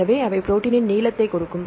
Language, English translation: Tamil, So, what is the average length of the protein